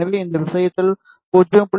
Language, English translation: Tamil, So, I will change it 0